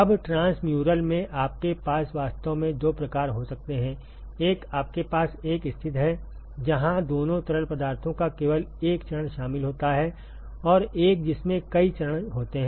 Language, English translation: Hindi, Now, in transmural you can actually have two types: one you have a situation, where only single phase of both the fluids are involved and one in which there is multiple phases